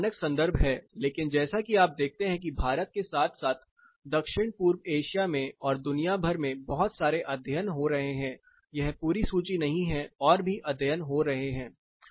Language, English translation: Hindi, 8 this is the standard reference, but as you see there are lot of studies in India as well as South East Asia plus across the globe there are more studies is not a total list of the whole thing